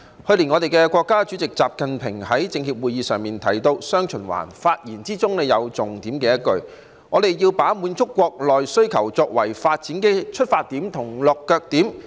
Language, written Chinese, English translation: Cantonese, 去年國家主席習近平在政協會議上提到"雙循環"，發言的重點是要把滿足國內需求作為發展的出發點和落腳點。, Last year President XI Jinping mentioned dual circulation at a meeting of the Chinese Peoples Political Consultative Conference . In his speech he stressed that meeting domestic demand is both the starting and landing points of development